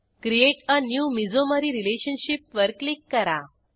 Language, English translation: Marathi, Click on Create a new mesomery relationship